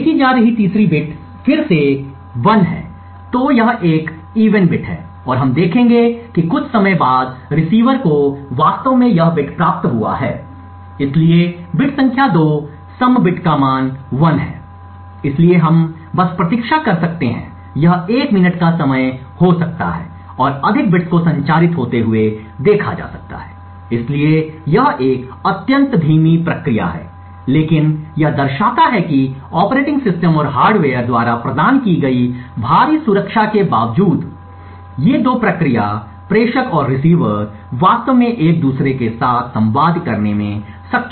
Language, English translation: Hindi, The 3rd bit being sent is 1 again so this is an even bit and we will see that after sometime the receiver has indeed received this bit as well, so the bit number 2 is the even bit got a value of 1, so we can just wait for may be a minute or so to see more bits being transmitted, so this is an extremely slow process but what it signifies is that these 2 process sender and receiver in spite of the heavy protection provided by the operating system and hardware have been able to actually communicate with each other